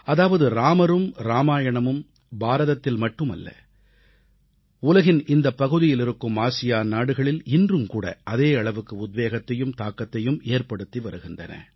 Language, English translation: Tamil, This signifies that Ram & Ramayan continues to inspire and have a positive impact, not just in India, but in that part of the world too